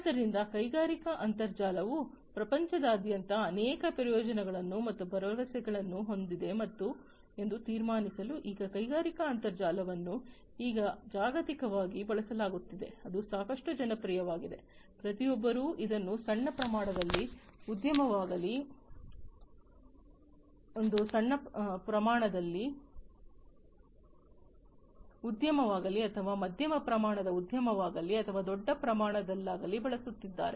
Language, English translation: Kannada, So, now to conclude industrial internet has many benefits and promises across the globe, it is industrial internet is now globally used it is quite popular, everybody is using it whether it is a small scale industry or a medium scale industry, or a large scale industry